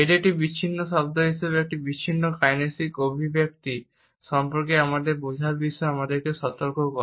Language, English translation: Bengali, It alerts us to our understanding of an isolated kinesic expression as an isolated word which can have multiple interpretations and words